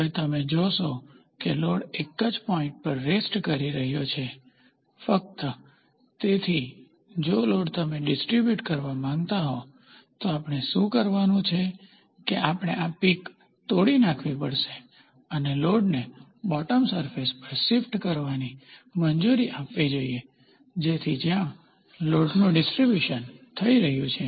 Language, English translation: Gujarati, Now you see the load is resting on one point only, so, the load if you wanted to distributed then, what we have to do is we have to break this peak and allow the load to be shifted to the bottom surface, so where the load is getting distributed